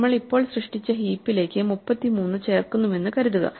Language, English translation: Malayalam, Supposing, we add 33 now to the heap that we just created